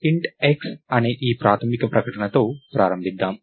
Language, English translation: Telugu, Lets start with this basic declaration called int x